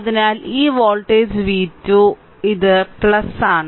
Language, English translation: Malayalam, So, this voltage v 2 right so, this is plus this is minus